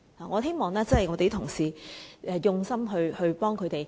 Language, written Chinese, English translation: Cantonese, 我希望同事們用心幫助他們。, I hope Members can be mindful when they assist the victims